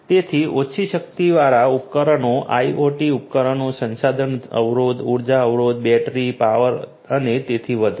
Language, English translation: Gujarati, So, low power devices, IoT devices, resource constraint energy constraint battery power and so on